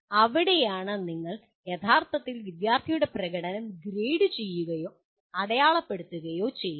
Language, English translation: Malayalam, So that is where you are actually grading or marking the student’s performance